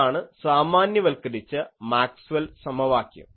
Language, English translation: Malayalam, So, this is the generalized Maxwell’s equation